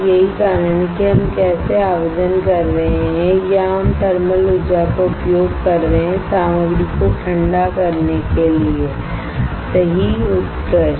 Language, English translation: Hindi, That is how we are applying or we are using thermal energy to evaporate the material cool alright excellent